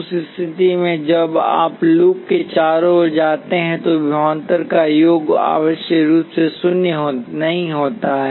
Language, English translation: Hindi, In that case, the sum of voltages as you go around the loop is not necessarily zero